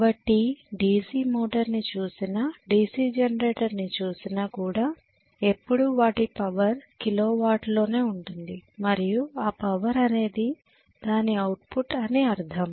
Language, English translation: Telugu, So whether we look at DC motor or whether we are looking at the DC generator always the power will be given in terms of kilo watt and the power that is given as output